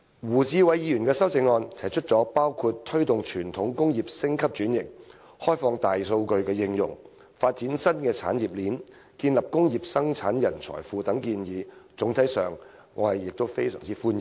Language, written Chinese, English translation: Cantonese, 胡志偉議員的修正案提出的建議包括推動傳統工業升級轉型、開放大數據應用、發展新產業鏈及建立工業生產人才庫等，我總體上亦非常歡迎。, The proposals in Mr WU Chi - wais amendment include motivating traditional industries to undergo upgrading and restructuring opening up big data for application forming a new industry chain and building a pool of talents well versed in industrial production which I very much welcome in general